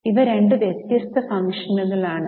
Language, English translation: Malayalam, These are two separate functions